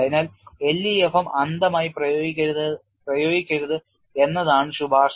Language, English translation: Malayalam, So, the recommendation is do not go and apply LEFM blindly